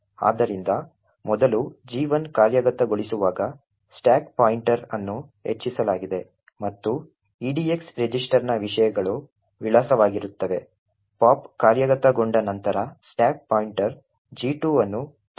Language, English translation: Kannada, So, first when gadget 1 executes the stack pointer is incremented to point to this and the contents of edx register would be address, after pop gets executed the stack pointer is pointing to G2